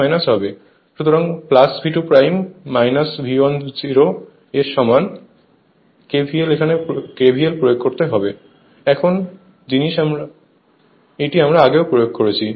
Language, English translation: Bengali, So, plus V 2 dash minus V 1 equal to 0 so, you apply KVL, same thing is same thing we have applied there right